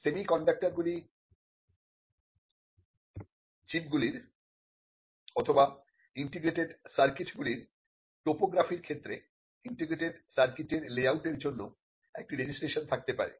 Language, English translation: Bengali, Topography of integrated circuits of semiconductor chips, they could be a registration for layout of integrated circuits